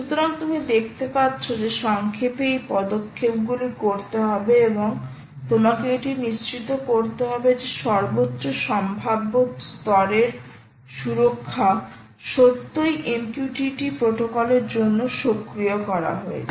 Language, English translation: Bengali, so you can see that, in summary, these steps have to be done and you have to ensure that the ah highest possible level of security actually is enabled for ah, the mqtt protocol